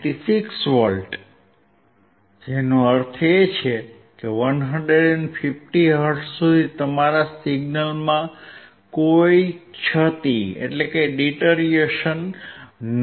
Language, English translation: Gujarati, 96 volts; which means, there is no deterioration in your signal until 150 hertz